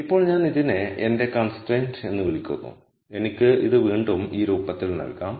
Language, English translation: Malayalam, So, now, I call this my constraint so I can again put it in this form